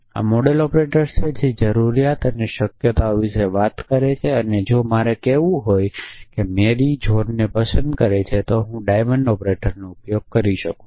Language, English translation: Gujarati, So, these are modal operators which talk about necessity and possibilities possible that Mary loves John if I want to say then I could use a diamond operator essentially